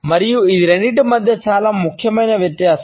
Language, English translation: Telugu, And this is by far the more significant difference between the two